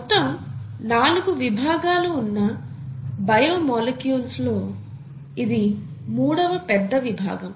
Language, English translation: Telugu, This is going to be a third major class of biomolecules, totally there are four